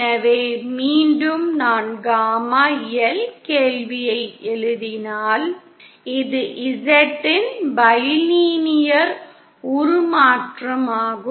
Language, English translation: Tamil, So once again if I write the question for gamma LÉ This is a bilinear transformation of Z